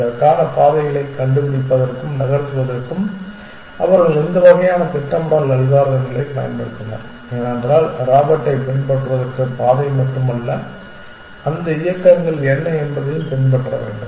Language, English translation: Tamil, They used a lot of this kind of planning algorithms for finding paths for this and move because it is not just the path for the Robert to follow also what are the movements that